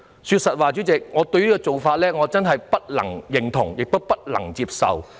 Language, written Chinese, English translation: Cantonese, 對於這種做法，我真的不能認同也不能接受。, I really find this neither agreeable nor acceptable